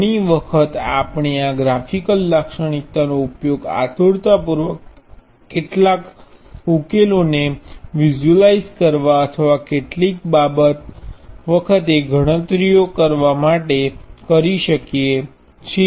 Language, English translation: Gujarati, Many times we can use this graphical characteristic to either visualize intuitively some solutions or even sometimes carry out the calculations